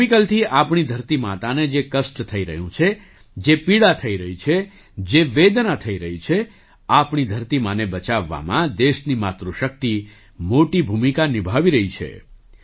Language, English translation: Gujarati, The suffering, the pain and the hardships that our mother earth is facing due to chemicals the Matrishakti of the country is playing a big role in saving our mother earth